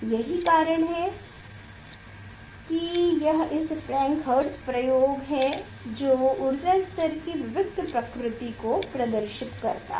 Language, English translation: Hindi, that is why it is this Frank Hertz experiment which demonstrated the discreteness of energy level